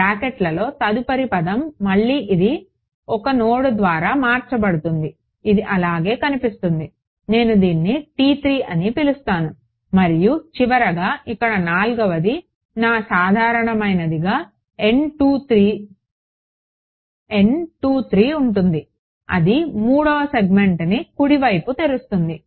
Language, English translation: Telugu, The next term in the brackets again it's going to look just like this one except it will be shifted to by 1 node right this is going to my I am going to call this T 3 and finally, the fourth one over here is going to be my usual N 3 2 that is right opening third segment